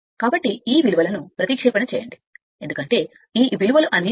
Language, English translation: Telugu, So, substitute all this value because, all this values are known right